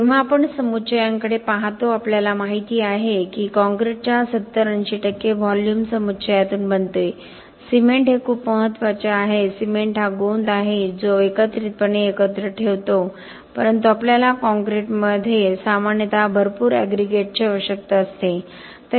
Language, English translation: Marathi, When we look at aggregates, as you know 70 80 percent of the volume of concrete is made out of aggregates, cement is very important, cement is the glue that holds aggregates together but we need a lot of aggregates normally in concrete